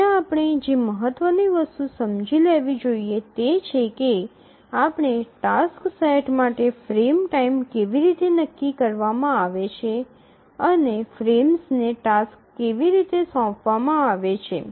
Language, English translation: Gujarati, Now the important thing that we must understand is that how is the frame time set for a given task set and how are tasks assigned to frames